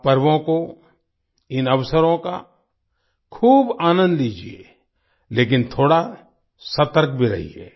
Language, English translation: Hindi, Enjoy these festivals a lot, but be a little cautious too